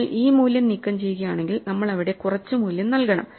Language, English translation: Malayalam, If you remove this value then we have to put some value there